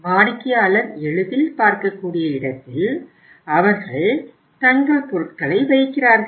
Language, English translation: Tamil, They place their their goods at a place where they are easily uh say is is the customer can easily see can have a look upon it